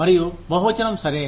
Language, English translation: Telugu, And, pluralism is okay